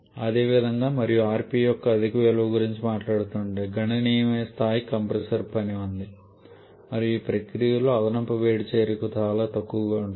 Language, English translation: Telugu, Similarly if we are talking about very high value of RP then there is a significant amount of compressor work involved and heat addition is quite small during this process